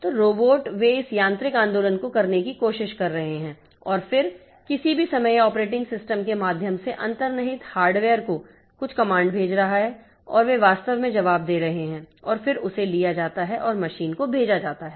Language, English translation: Hindi, So, particularly for say if I have got a robotic movement, so robots, so they are trying to do this mechanical movement and then at any point of time so it is sending some command to the underlying hardware through the operating system and they are actually responding with the answer and then that is taken to the machine